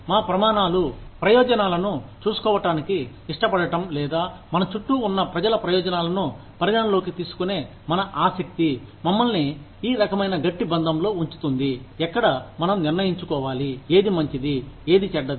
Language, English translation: Telugu, You know, our standards are, willingness to look after the interests of the, or, our keenness to take the interests of people, around us, into account, puts us in this kind of a tight bind, where we have to decide, what is good, and what is bad